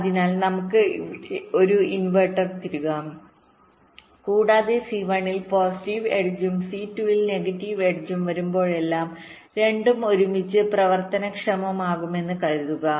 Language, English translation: Malayalam, so let us insert an inverter here and lets assume that whenever there is a positive edge coming on c one and negative edge coming on c two, so both will triggered together same way